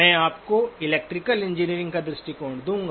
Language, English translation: Hindi, I will give you the electrical engineering perspective